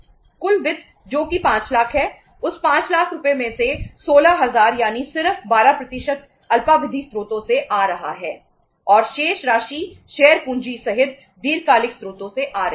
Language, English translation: Hindi, Total finance that is the 5 lakhs, out of that 5 lakh rupees 16000 that is just 12% is coming from the short term sources and remaining amount is coming from the long term sources including share capital